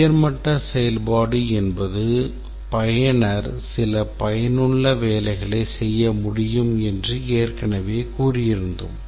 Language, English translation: Tamil, We had already said that a high level function is one or a functional requirement using which the user can get some useful piece of work done